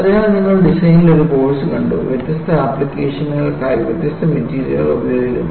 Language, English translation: Malayalam, So, you have to know, if you have a done a course in design, you use different materials for different applications